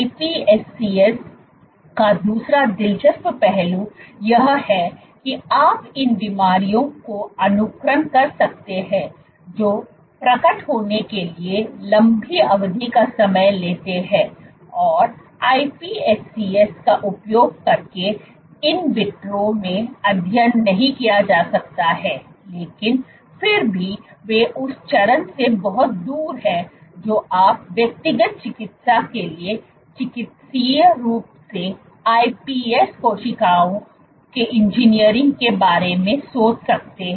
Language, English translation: Hindi, The other interesting aspect of iPSCs is you can simulate diseases which take long term to manifest and cannot be studied in vitro using iPSCs, but still they are far from that stage you can think of therapeutically engineering iPS cells for personalized medicine